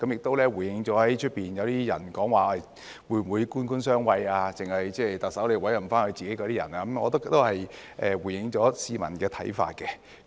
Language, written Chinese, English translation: Cantonese, 這回應了外界有些人說會否官官相衞，特首只會委任自己人，我覺得這也回應了市民的看法。, This has responded to the query of some people outside whether those in office would shield each other and whether the Chief Executive would only appoint hisher cronies . I think these amendments have addressed the views of the public